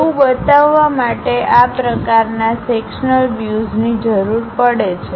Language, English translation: Gujarati, To represent that, we require this kind of sectional views